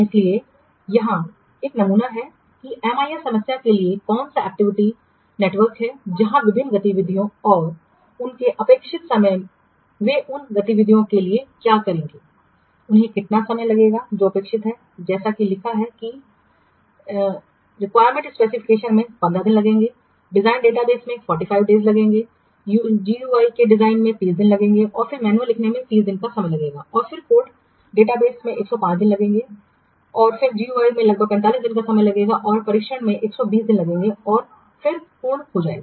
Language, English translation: Hindi, So, this is a sample of what activity network for a MIS problem where the various activities and their expected times they will take to what for their, these activities activities how much time they are expected to take that is also written like requirement specifications will take 15 days designing database will take 45 days designing GII will take 30 days and then writing manual will take 30 days then what code database will take 105 days coding GIAPD will 45 days, integrate and testing will take 120 days and then complete